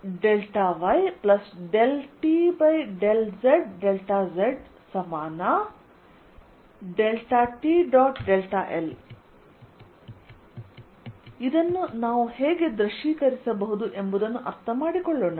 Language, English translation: Kannada, let us understand how we can visualize this